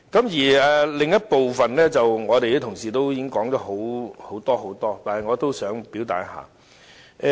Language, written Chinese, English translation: Cantonese, 關於另一部分的修正案，我們的同事已經說了很多，但我也想表達一下意見。, Regarding the other part of the amendments our colleagues have expressed their many views and I also wish to express mine